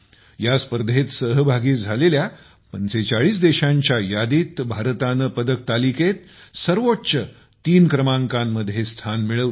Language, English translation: Marathi, In this, India remained in the top three in the medal tally among 45 countries